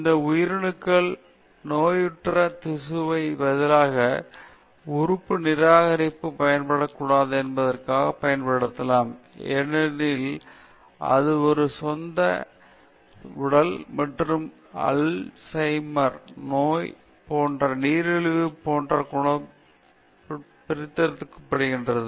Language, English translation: Tamil, And these cells could then be used to replace diseased tissue with no fear of organ rejection, because it is extracted from oneÕs own body and cure diseases such as AlzheimerÕs disease and diabetes